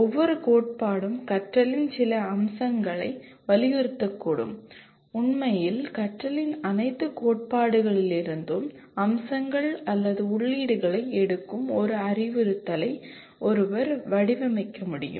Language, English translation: Tamil, Each theory may emphasize certain aspect of learning and in fact one can design an instruction taking features or inputs from all the theories of learning